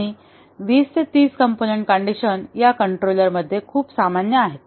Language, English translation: Marathi, And 20, 30 component conditions is very common in controllers